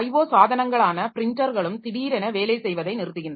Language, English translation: Tamil, O devices also all on a sudden printer stops working